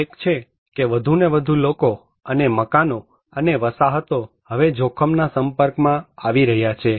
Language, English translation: Gujarati, One is more and more people and buildings and settlements are now being exposed to hazards